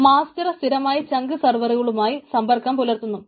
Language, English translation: Malayalam, the master maintains regular communication with the chunk server